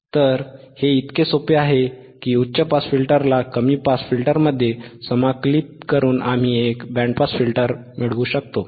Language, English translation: Marathi, Because it is so simple that by integrating the high pass filter to the low pass filter we can get a band pass filter